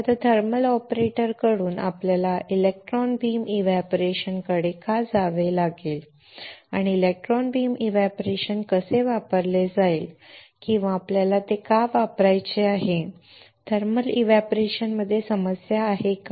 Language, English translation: Marathi, So now, from thermal operator why we have to go to electron beam evaporation and how the electron beam evaporation would be used or why we want to use it is there a problem with thermal evaporator right